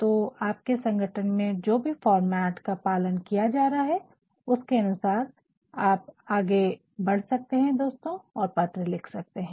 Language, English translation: Hindi, So, depending upon what format is being followed in your organization you can go ahead with that my dear friend and write your letters